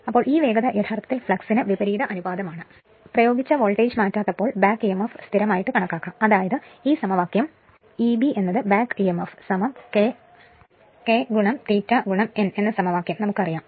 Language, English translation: Malayalam, So, this speed is actually inversely proportional to the flux, when the applied voltage is not changed and back Emf can be considered constant that means, this equation